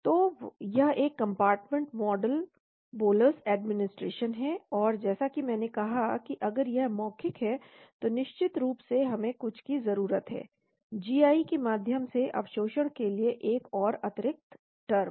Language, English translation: Hindi, So this is one compartment model bolus administration, and as I said if it is oral then of course we need some, one more extra term for the absorption through the gi